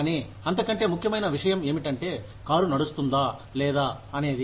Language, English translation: Telugu, But, what matters more is, whether the car will run or not